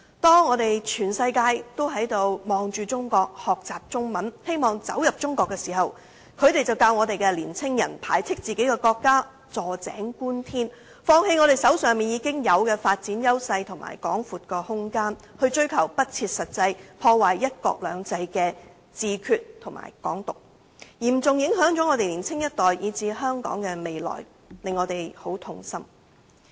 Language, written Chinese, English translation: Cantonese, 當全世界都望向中國，學習中文，希望走進中國，他們卻教導青年人排斥自己的國家，坐井觀天，放棄手上已有的發展優勢及廣闊空間，去追求不切實際、破壞"一國兩制"的"自決"和"港獨"，嚴重影響到年輕一代以至香港的未來，令人痛心。, While the whole world are having their eyes on China learning Chinese and wanting to go to China these people are teaching young people to distance themselves from their own country have a narrow view and give up the development opportunities and vast space they already have in pursuit of the unrealistic self - determination and Hong Kong independence that undermines one country two systems . It is distressing to see the younger generation and the future of Hong Kong being seriously affected